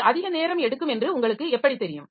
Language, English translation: Tamil, So, how do you know that it is taking too much of time